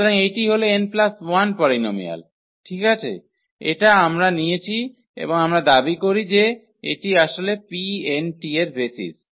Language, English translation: Bengali, So, these n plus 1 polynomials rights these are n plus 1 polynomials, we have taken and we claim that this is a basis actually for P n t